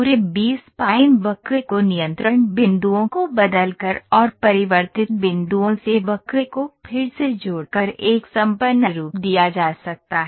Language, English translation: Hindi, The entire B spline curve can be a affinely transformed by transforming the control points and redrawing the curve from the transformed points